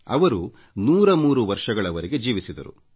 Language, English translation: Kannada, He lived till 103 years